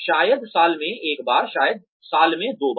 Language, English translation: Hindi, Maybe once a year or maybe twice a year